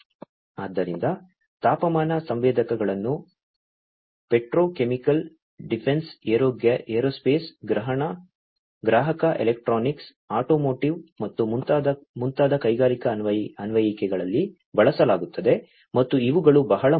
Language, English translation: Kannada, So, temperature sensors are used in industrial applications such as petrochemical, defense, aerospace, consumer electronics, automotive, and so on, and these are very important